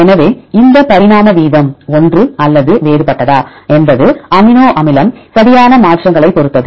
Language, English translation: Tamil, So, whether this rate of evolution is same or different that depends upon the amino acid changes right